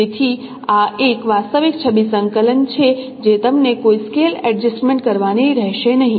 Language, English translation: Gujarati, So this is actual image coordinate what you will get you don't have to do any scale adjustment